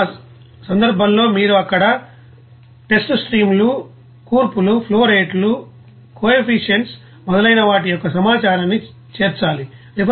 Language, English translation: Telugu, And in that case, you have to incorporate that information of the test streams, compositions, flowrates, coefficients etc